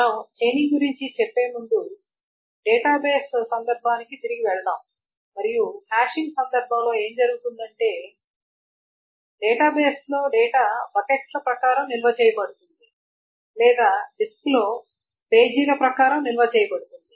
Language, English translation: Telugu, What does chaining mean is that before we go into the chaining, let us go back to the database context and in the context of hashing what is being done is the following is that in the database the objects are stored according to buckets or pages in the disk